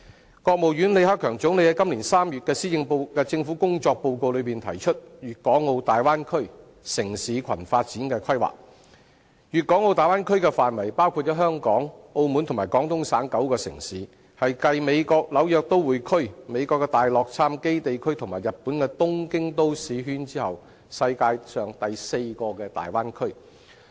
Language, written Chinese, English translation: Cantonese, 中國國務院總理李克強於今年3月的政府工作報告中提出粵港澳大灣區城市群發展規劃，粵港澳大灣區的範圍包括香港、澳門和廣東省9個城市，是繼美國紐約都會區、美國大洛杉磯地區和日本東京都市圈後，世界上第四個大灣區。, When delivering his Report on the Work of the Government in March this year LI Keqiang Premier of the State Council of China mentioned the development plan for a city cluster in the Guangdong - Hong Kong - Macao Bay Area Bay Area including Hong Kong Macao and nine cities in the Guangdong Province . It will become the fourth bay area in the world after the New York metropolitan area the Greater Los Angeles Area in the United States and the Tokyo Metropolis in Japan